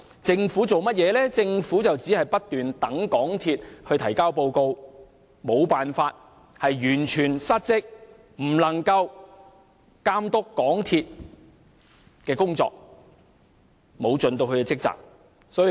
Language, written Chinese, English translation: Cantonese, 政府只是不斷等待港鐵公司提交報告，完全失職，無法監督港鐵公司的工作，沒有盡其職責。, The Government merely kept waiting for MTRCLs report and completely failed in its duty to supervise MTRCLs work